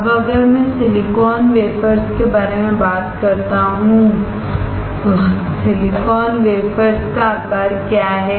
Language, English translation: Hindi, Now, if I talk about silicon wafers, what are the size of silicon wafers